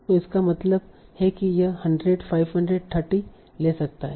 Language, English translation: Hindi, So it can take 100, 500, 30, whatever it needs